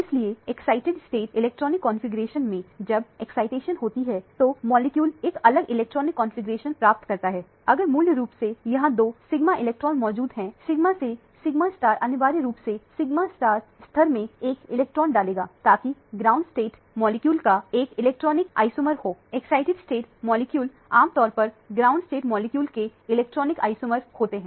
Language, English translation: Hindi, So, in the excited state electronic configuration, when the excitation takes place the molecule attains a different electronic configuration, if there are two sigma electrons present originally here, the sigma to sigma star will essentially put one electron in the sigma star level so that will be a electronic isomer of the ground state molecule, the excited state molecules are generally electronic isomers of the ground state molecule